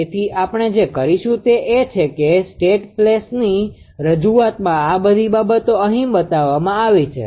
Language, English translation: Gujarati, So, what we will do is that in the state place representation this all these things are shown here